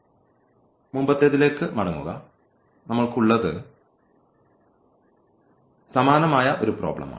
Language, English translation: Malayalam, So, just getting back to the previous one, what we have it is a similar problem